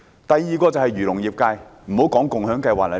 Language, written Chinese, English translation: Cantonese, 第二，便是漁農業界人士。, The second group is members of the agriculture and fisheries industries